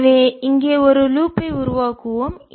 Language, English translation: Tamil, so let's use a, let's make a loop here